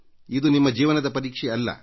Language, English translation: Kannada, But it is not a test of your life